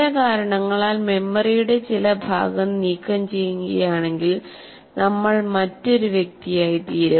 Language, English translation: Malayalam, If the some part of the memory for some reason is removed, then we become a different individual